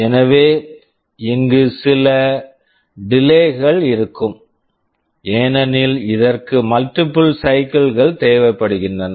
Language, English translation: Tamil, So, there will be some delay here because it is requiring multiple cycles